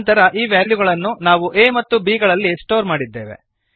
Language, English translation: Kannada, Then we stored the value in a and b